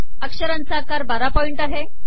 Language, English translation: Marathi, 12 point is the text size